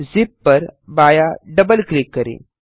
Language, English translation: Hindi, Left double click on the zip